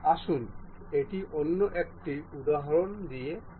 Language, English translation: Bengali, Let us do that with another example